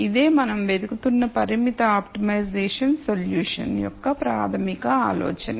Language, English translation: Telugu, So, this is a basic idea of constrained optimization solution that we are looking for